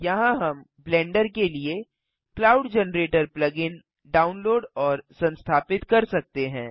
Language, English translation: Hindi, Here we can download and install the cloud generator plug in for Blender